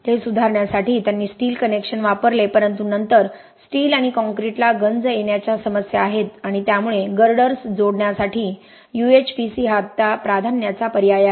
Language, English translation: Marathi, So you will have much faster failure of those connections they used steel connections to improve that but then steel and concrete you have issues with corrosion so UHPC is now a preferred option to connect girders